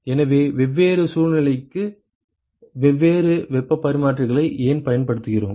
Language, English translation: Tamil, So, why do we use different heat exchangers for different for different situations ok